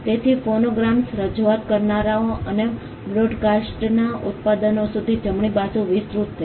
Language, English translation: Gujarati, So, the right got extended to producers of phonograms, performers and broadcasters